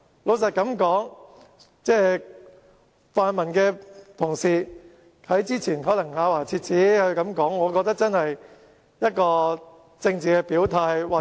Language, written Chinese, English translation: Cantonese, 老實說，泛民同事之前說得咬牙切齒，我覺得可能是政治表態。, Just now our pan - democratic colleagues criticized us ferociously but I think they were possibly just making a political gesture